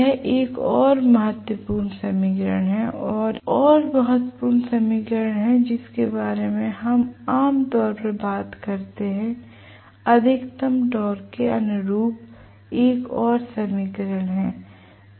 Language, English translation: Hindi, This is another important equation and 1 more important equations which we normally talk about is this and this is another equation corresponding to maximum torque